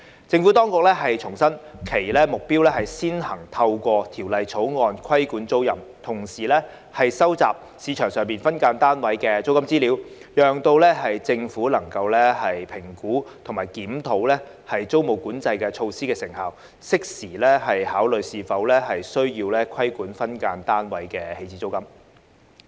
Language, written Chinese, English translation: Cantonese, 政府當局重申其目標是先行透過《條例草案》規管租賃，同時收集市場上分間單位租金資料，讓政府能夠評估及檢討租務管制措施的成效，適時考慮是否需要規管分間單位的起始租金。, The Administration has reiterated that its objective is to regulate tenancies through the Bill first while at the same time collect information about SDU rentals in the market to facilitate the Administrations assessment and review of the effectiveness of the tenancy control measures and enable the Administration to consider at an opportune time the case for regulating the initial rent of SDUs